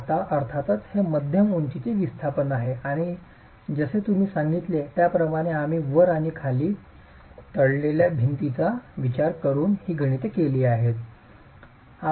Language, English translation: Marathi, Now, of course, this is mid height displacement and as I told you we have made these calculations considering a wall that is pinned at the top and the bottom